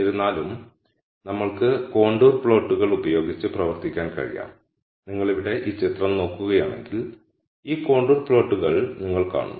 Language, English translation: Malayalam, However, we know that we can work with contour plots and if you look at this picture here, you see these contour plots